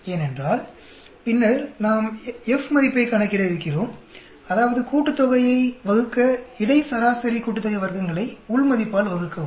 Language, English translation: Tamil, Because we are going to later on calculate the F value; that means, divide the sum of, the mean sum of squares of between divided by within